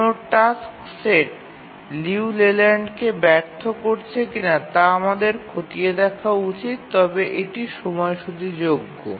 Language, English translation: Bengali, And we need to check if a task set fails Liu Leyland but still it is schedulable